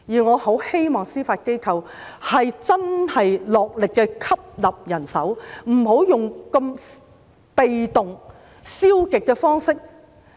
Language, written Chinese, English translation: Cantonese, 我很希望司法機構能真正落力吸納人手，不要採用如此被動和消極的方式。, I very much hope that the Judiciary can genuinely do its utmost to recruit manpower without resorting to such passive and negative means